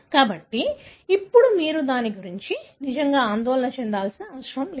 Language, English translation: Telugu, So, now you do not need to really worry about it